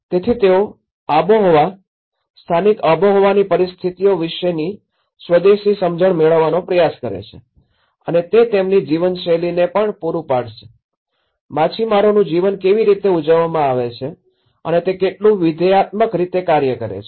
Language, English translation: Gujarati, So, they try to have this indigenous understanding of climatic, the local climatic conditions and it will also serving their way of life, how the fisherman's life is also celebrated and how functionally it works